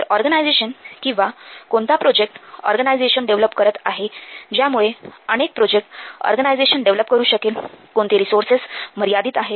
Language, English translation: Marathi, So, since the organization or this project development developing organization is developing so many projects, but the resources are limited